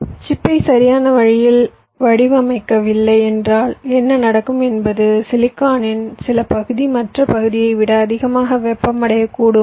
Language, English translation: Tamil, well, if you do not design your chip in a proper way, what might happen is that some part of your silicon might get heated more than the other part